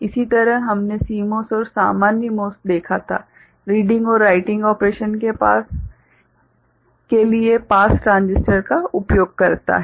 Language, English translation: Hindi, Similarly, we had seen the CMOS and normal MOS; the uses of pass transistors for reading and writing operation